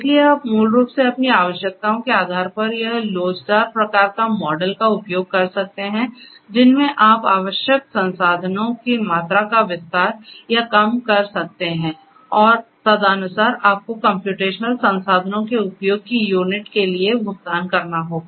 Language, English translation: Hindi, So, you can basically it’s an elastic kind of model you know based on your requirements you can expand or decrease the amount of resources that would be required and accordingly you are going to be you will have to pay for units of usage of the computational resources